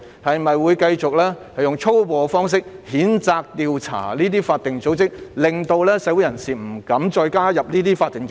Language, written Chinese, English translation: Cantonese, 是否會繼續使用粗暴的方式譴責和調查這些法定組織，令社會人士不敢加入這些法定組織？, Will it continue to adopt such a brutal approach to condemn and investigate these statutory bodies thus causing members of the community to shrink from joining them?